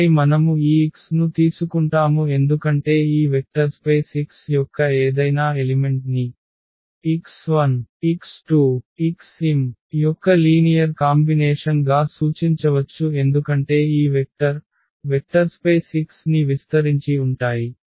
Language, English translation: Telugu, And then we take this x because any element of this vector space x can be represented as a linear combinations of x 1 x 2 x 3 x m because these vectors span the vector space X